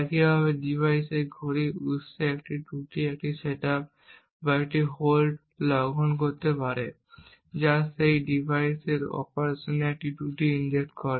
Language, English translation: Bengali, Similarly a glitch in the clock source for the device can create a setup or a hold violation injecting a fault into the operation of that device